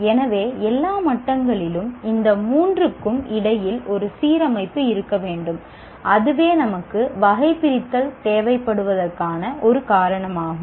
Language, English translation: Tamil, So at all levels, there should be an alignment between these three concerns and that is the reason why we need a taxonomy